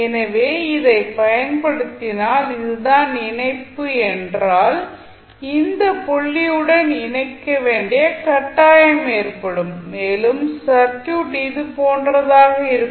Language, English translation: Tamil, So, if you apply this and this is the connection then it will be forced to connect to this particular point and your circuit would be like this